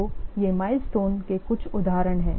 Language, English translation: Hindi, So, these are few examples of milestones